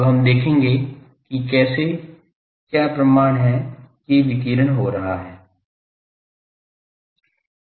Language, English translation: Hindi, Now, we will see that how; what is the proof that radiation is taking place